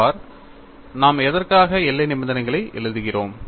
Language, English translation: Tamil, See, we are writing boundary condition on what